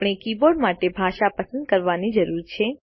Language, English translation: Gujarati, We need to select a language for the keyboard